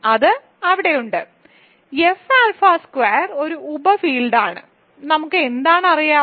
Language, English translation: Malayalam, So, it is there, so F alpha squared is a subfield, what do we know